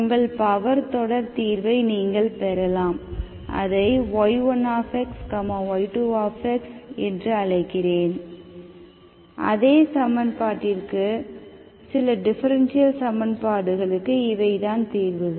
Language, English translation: Tamil, So what you get from your power series solutions, you may get your power series solutions, let me call it y1 x, y2 x for the same equation, for some differential equations, these are the solutions, okay